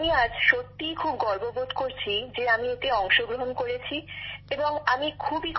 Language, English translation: Bengali, I really feel very proud today that I took part in it and I am very happy